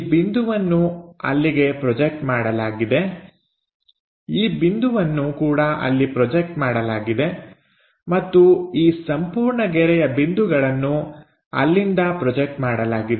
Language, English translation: Kannada, So, this point projected there; this point also projected there and this entire line points will be projected from there